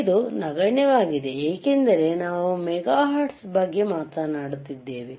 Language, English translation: Kannada, This is negligibly small why because we are talking about megahertz,